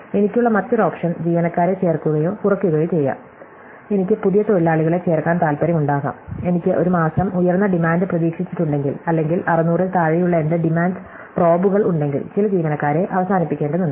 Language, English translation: Malayalam, The other option for me is to add or subtract employees, I might want to add new workers, in case I have a higher demand projected that month or I might need to terminate some employees in case my demand drops below 600